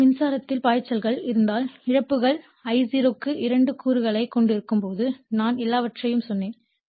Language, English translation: Tamil, Now, if current flows then losses will occur when losses are considered I0 has to 2 components I told you everything